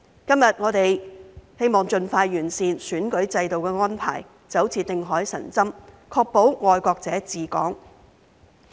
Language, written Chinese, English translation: Cantonese, 今天，我們希望盡快完善選舉制度安排，就像定海神針，確保"愛國者治港"。, Today we hope that the electoral system will be improved as soon as possible so that it can play the role of stabilizer to ensure patriots administering Hong Kong